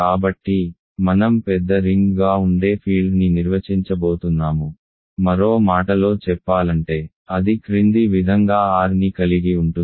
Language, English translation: Telugu, So, I am going to define a field which is going to be a bigger ring, in other words it contains R as follows